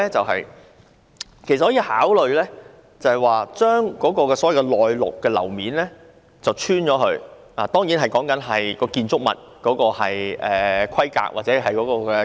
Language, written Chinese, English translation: Cantonese, 可以考慮將"內陸"樓面鑿穿，當然前提是該建築物的規格和結構容許這樣做。, We may consider drilling through the landlocked areas as long as the specifications and structure of the building allow doing so